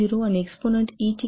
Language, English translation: Marathi, 0 and exponent E is calculated 1